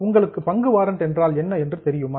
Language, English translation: Tamil, Does anybody know what is a share warrant